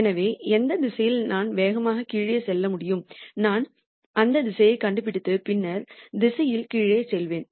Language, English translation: Tamil, So, the direction in which I can go down really fast and I will nd that direction and then go down the direction